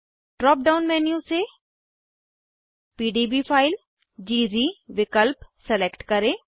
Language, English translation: Hindi, From the drop down menu, select PDB file option